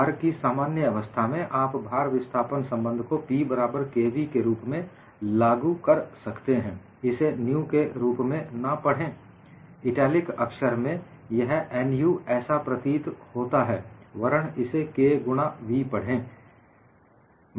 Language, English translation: Hindi, For a general case of loading, you could apply the load displacement relation as P equal to k v; do not read this as nu; it is appears in the italic font; appears as nu, but read this as k into v